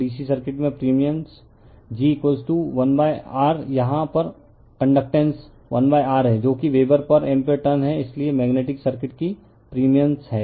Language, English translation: Hindi, And permeance in the DC circuit g is equal to 1 upon R, the conductance here the permeance that is 1 upon R that is Weber per ampere turns, so permeance of the magnetic circuit right